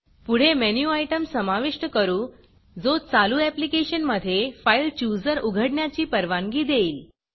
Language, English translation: Marathi, Next let us add a menu item that allows to open the FileChooser from the running application